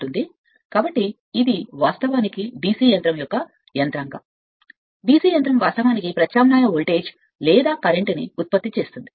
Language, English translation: Telugu, So, this is actually mechanism for your DC machine DC machine actually generates alternating voltage, or current right